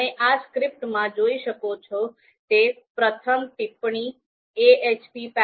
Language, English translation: Gujarati, So you can see the first comment that you can see in this script is using ahp package